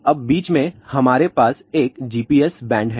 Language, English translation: Hindi, Now in between, we have a GPS band